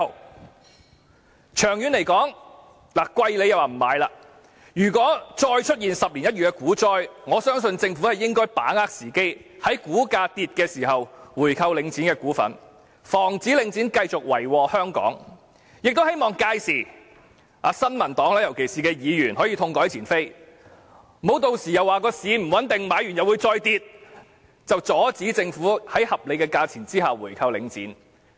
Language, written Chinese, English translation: Cantonese, 股價昂貴時，他們說不應回購，但長遠來說，如果再出現10年一遇的股災，我相信政府應該把握時機，在股價下跌時購回領展的股份，防止領展繼續為禍香港，亦希望屆時，尤其是新民黨的議員能痛改前非，不要又以股市不穩定，購回股份後股價仍會下跌為由，阻止政府在合理的價錢下購回領展。, When the stock price is expensive they said that a buy - back would be not worth it . But in the long term if another once - in - a - decade stock crash occurs I think the Government should seize the opportunity to buy back the shares of Link REIT when the stock price falls in order to stop Link REIT from further wreaking havoc in Hong Kong . I hope that by then particularly Members of the New Peoples Party can rectify their mistake and will not stop the Government from buying back Link REIT at a reasonable price again on the ground that the stock market is unstable and that stock price may still fall after buying back its shares